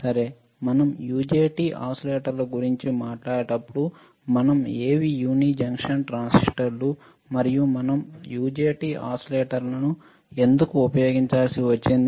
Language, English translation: Telugu, So, when we talk about UJT oscillators, we have to understand; what are uni junction transistors and why we had to use UJT oscillators